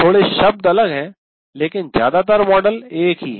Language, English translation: Hindi, It slightly wordings are different, but essentially the model is the same